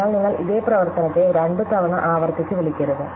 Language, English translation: Malayalam, So, that you never call this same function twice recursively